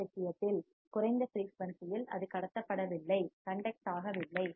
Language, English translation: Tamil, In this case, at low frequency, it was not conducting